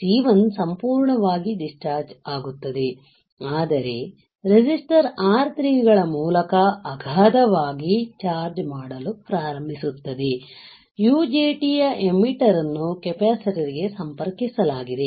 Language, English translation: Kannada, C1 is fully discharged C1 gets fully discharged, but begins to charge up exponentially through the resistors R3 right; this is the start exponentially through the R3, there is the emitter of the UJT is connected to the capacitor, right